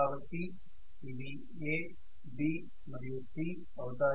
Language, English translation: Telugu, So this is again A, B and C